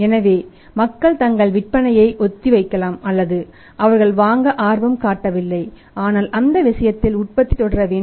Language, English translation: Tamil, So, maybe people are postponing their sales or they are not interested to buy but in that case means manufacturing has to go on